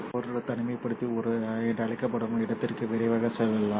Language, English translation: Tamil, Let us now quickly jump into what is called as a isolator